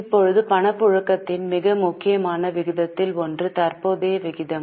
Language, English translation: Tamil, Now, one of the most important ratio of liquidity is current ratio